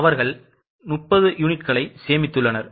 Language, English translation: Tamil, So, they have saved 30 units